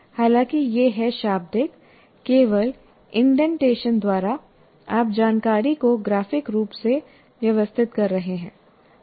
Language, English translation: Hindi, Though this is text, but by just indentation you are graphically organizing the information